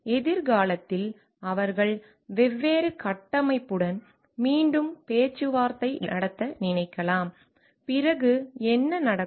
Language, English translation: Tamil, And future they may think of renegotiating with the different structure, then what happens